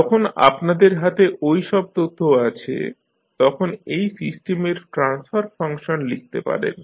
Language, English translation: Bengali, Now, when you are having all those information in hand, you can now write the transfer function of this system